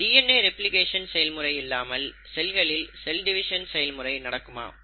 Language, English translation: Tamil, So it is not possible for a cell to divide without the process of DNA replication